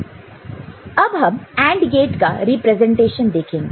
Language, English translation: Hindi, Now, we look at representation of AND gate ok